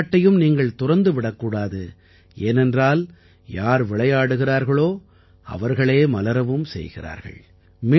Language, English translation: Tamil, Do not stop playing, for those who play are the ones that blossom